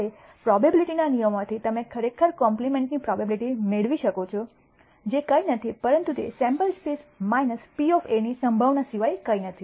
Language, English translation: Gujarati, Now from the rules of probability you can actually derive the probability of a compliment is nothing but the probability of the entire sample space minus the probability of A, which is one